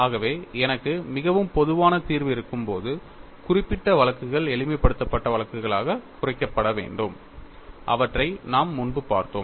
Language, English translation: Tamil, Any general solution in a particular case should reduce to the earlier simplified cases that you are looked at